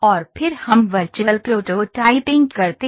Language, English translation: Hindi, And then we do virtual prototyping